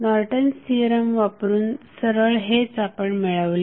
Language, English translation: Marathi, So, what does Norton's Theorem means